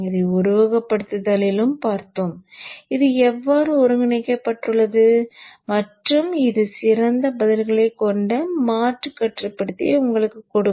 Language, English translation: Tamil, We shall just see this in simulation also, how it is incorporated and that would give you a kind of an alternate controller which has better responses